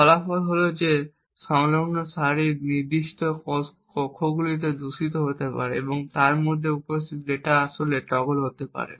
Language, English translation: Bengali, The result is that certain cells on the adjacent rows may get corrupted and the data present in them may actually be toggled